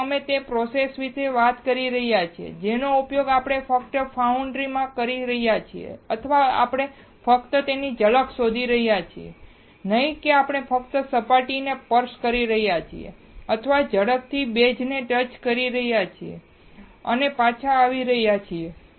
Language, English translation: Gujarati, So, we are talking about the process that is used in foundry we are just talking, or we are just looking the glimpse of it, not we are just touching the surface or quickly touching the base and coming back